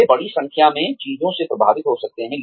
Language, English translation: Hindi, They could be influenced by a large number of things